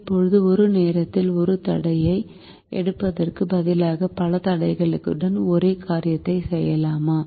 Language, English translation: Tamil, instead of taking one constraint at a time, can we do the same thing with multiple constraints